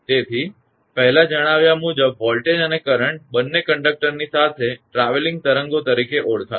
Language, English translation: Gujarati, So, as stated before both the voltage and the current will move along the conductor as travelling waves